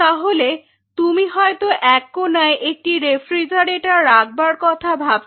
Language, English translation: Bengali, So, you may think of having a refrigerator in one of the corners